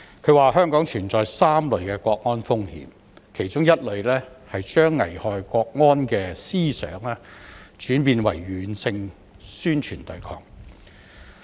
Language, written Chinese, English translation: Cantonese, 他指出香港存在3類國安風險，其中一類是將危害國安的思想轉變為軟性宣傳對抗。, According to him there are three types of national security risks in Hong Kong one of which is that the ideologies endangering national security has now been transformed to become soft propaganda and resistance